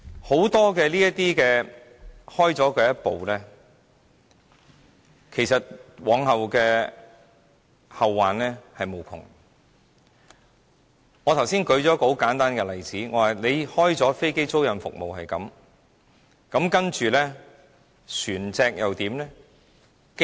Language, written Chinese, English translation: Cantonese, 很多時踏出第一步，往後會後患無窮，我剛才列舉一個很簡單的例子，開了飛機租賃這個先例，接着船隻又怎樣呢？, Often when we take the first move it will be no end of trouble in the future . I have cited a simple example just now . Once we set a precedent in the aircraft leasing business what should we do with the vessels?